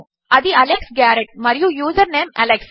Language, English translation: Telugu, So thats Alex Garrett and username alex